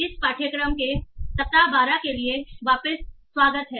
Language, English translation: Hindi, Welcome back for week 12 of this course